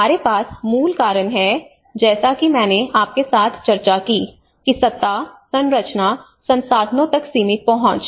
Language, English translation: Hindi, So we have the root causes as I discussed with you, that the limited access to the power, structures, resources